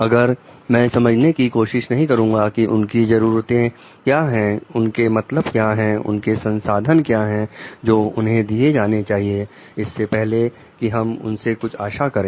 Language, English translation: Hindi, If I do not try to understand what are their needs like what do they mean what like resources should be given to them before we try to expect something from them